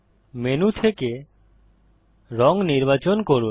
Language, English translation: Bengali, Choose a colour from the menu